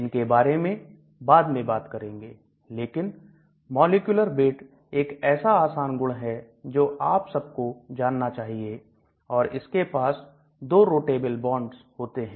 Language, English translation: Hindi, We are going to talk about them later, but the molecular weight is one easy property which you all know about it and it has got 2 rotatable bonds